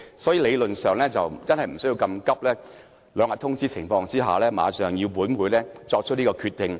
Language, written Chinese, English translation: Cantonese, 所以，理論上不需要這麼趕急，只是提前兩天通知便要本會作出決定。, So theoretically speaking its hasty move to give this Council only two days notice to make a decision was uncalled for